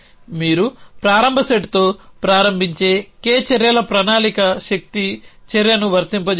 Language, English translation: Telugu, So, the plan is of k actions you begin with a start set apply the force action